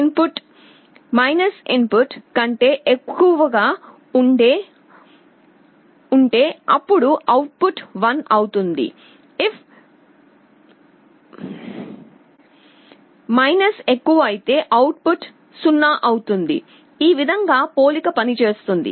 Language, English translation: Telugu, If the + input is greater than the – input, then the output will be 1; if is greater, output will be 0, this is how comparator works